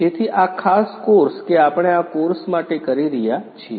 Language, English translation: Gujarati, So, this particular course that we are doing this for the course